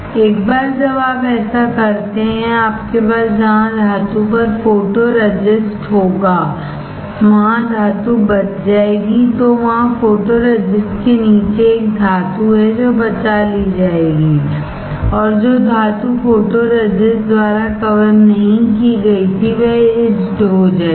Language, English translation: Hindi, Once you do that you will have photoresist on the metal saved, there is a metal below the photoresist will be saved and the metal which was not covered by photoresist will get etched